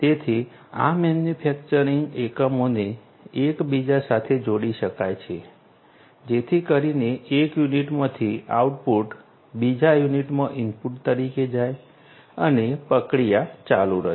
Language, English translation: Gujarati, So, and these manufacturing units can be connected with one another so, that the input from one unit goes to go sorry the output from one unit goes as an input to another unit and the process continues